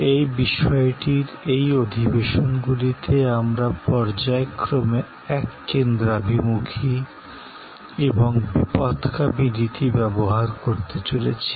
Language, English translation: Bengali, In this series of sessions on this topic, we are going to use alternately convergent, divergent mode